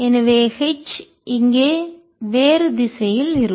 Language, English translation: Tamil, so h will be in the other direction here